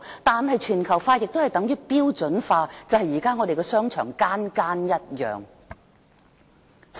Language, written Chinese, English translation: Cantonese, 但是，全球化亦等於標準化，就是現時我們的商場全部一樣。, However globalization also means standardization . Now all our shopping arcades have become identical